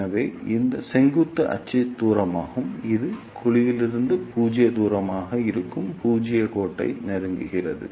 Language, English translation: Tamil, So, this vertical axis is distance and this represents the zero line that is the zero distance from the cavity that is the cavity itself